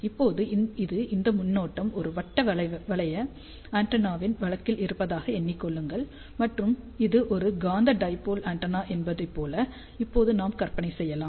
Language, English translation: Tamil, Now, you can think about that this is the current in the case of a circular loop antenna and we can now visualize that this is a magnetic dipole antenna